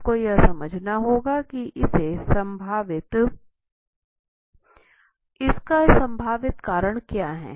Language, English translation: Hindi, You have to understand what are the possible causes